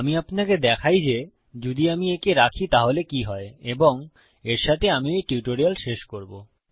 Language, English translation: Bengali, So, let me just show you what would happen if we keep these in and then with that Ill end the tutorial